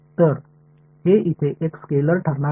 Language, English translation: Marathi, So, it is going to be a scalar over here